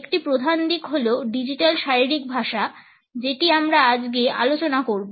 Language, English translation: Bengali, One major aspect is digital body language, which we would discuss today